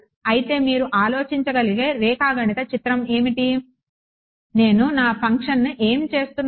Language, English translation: Telugu, So, what is the geometric picture you can think of how, what am I doing to my function